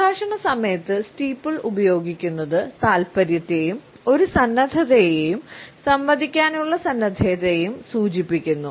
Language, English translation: Malayalam, The use of steeple during conversation indicates interest as well as a readiness and a willingness to interact